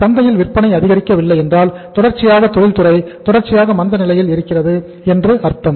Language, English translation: Tamil, If the sales are not picking up in the market it means the industry is in the continuous industrial or the persistent industrial recession